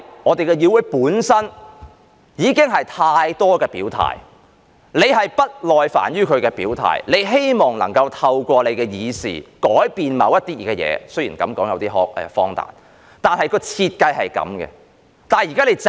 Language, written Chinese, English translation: Cantonese, 我們的議會本身已經有太多表態，你是不耐煩於大家的表態，你希望能夠透過修訂而改變某些事——雖然這樣說有點荒誕——但設計便是這樣子。, In our Council there is already too much expression of stances . You are impatient of Members expression of stances and wish to change certain things through the amendment exercise―although this sounds a little ridiculous this is the design